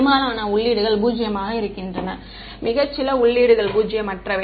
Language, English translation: Tamil, Most of the entries are zero, very few entries are non zero ok